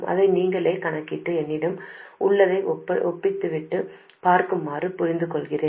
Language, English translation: Tamil, I suggest that you calculate it by yourself and then compare it to what I have